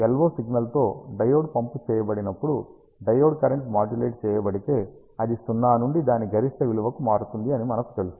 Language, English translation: Telugu, We know that when a diode is pumped with an LO signal, the diode current is modulated it changes right from 0 to its maximum value